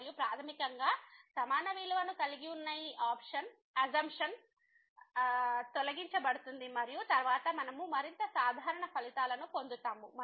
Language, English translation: Telugu, And, basically this assumption of having the equal values will be removed and then we will get more general results